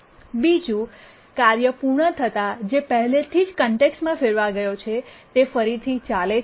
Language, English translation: Gujarati, And the second on completion of the task, the one that was already context switched resumes its run